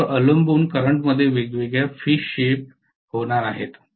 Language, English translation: Marathi, Depending upon that the currents are going to have different phase shifts